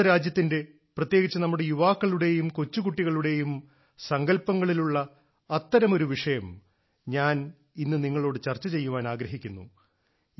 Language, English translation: Malayalam, Today I want to discuss with you one such topic, which has caught the imagination of our country, especially our youth and even little children